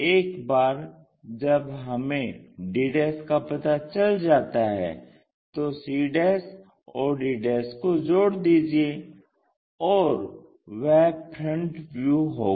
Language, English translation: Hindi, Once we know d', join c' and d' and that will be the front view